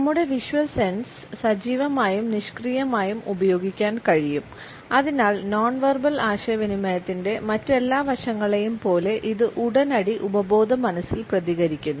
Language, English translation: Malayalam, Our visual sense can be used in an active as well as in a passive manner and therefore, it responses in almost an immediate and subconscious manner like all the other aspects of non verbal communication